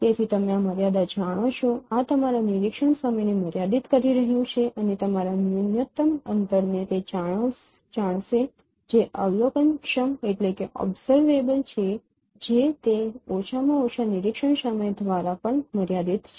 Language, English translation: Gujarati, So, these are no limiting, these are limiting your observation time and thus know your minimum distance what is observable that is also limited by that minimum observation time